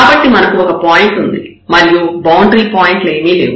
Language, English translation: Telugu, So, we have one point and none the boundary points we have to look